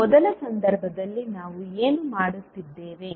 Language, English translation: Kannada, So now, in first case what we are doing